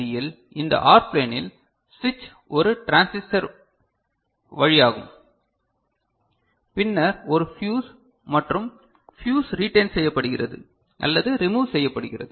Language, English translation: Tamil, And in this particular IC so this OR plane the switch is through a transistor and then a fuse and the fuse is retained or removed, ok